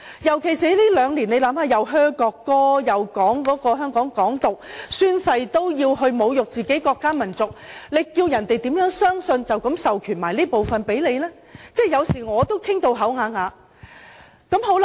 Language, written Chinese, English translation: Cantonese, 特別是香港在過去兩年出現噓國歌、宣揚"港獨"，連議員宣誓也要侮辱自己的國家民族，叫中央怎有信心授權這部分的權力予香港人員呢？, This is especially true having regard to the incidents of booing national anthem proclaiming independence and Members making use of oath - taking to humiliate their own country and nationality . How could the Central Government have the confidence to authorize such power to Hong Kong immigration officers?